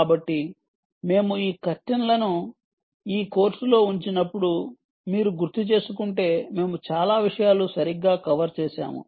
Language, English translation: Telugu, so when we put this curtains down on this course, if you recall, we covered many things right